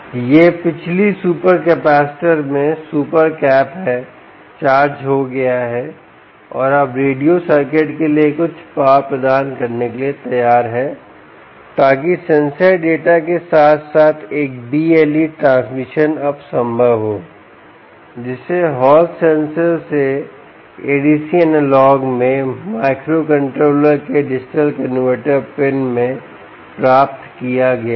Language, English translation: Hindi, well, this is the super cap in the previous super capacitor is charged and is now ready for providing a high power for the radio circuit, right for the radio circuit, so that a b l e transmission is now possible, along with the sensor data which was obtained from the hall sensor in to the a d c analogue to digital converter pin of the microcontroller